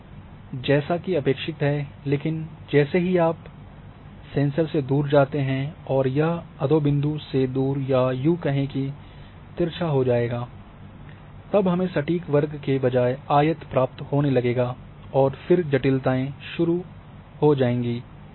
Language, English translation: Hindi, And as expected as indented, but as you go away from the sensor and it becomes off nadir or oblique then instead of getting a exact square you start getting the rectangle and then complication starts to come